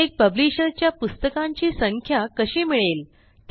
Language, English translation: Marathi, How do we get a count of books for each publisher